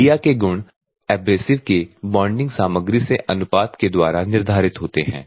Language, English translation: Hindi, The media properties are determined by the proportion of abrasive to the bonding material